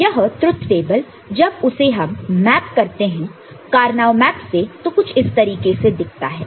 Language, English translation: Hindi, So, this truth table when gets map to Karnaugh map it would looks something like this, ok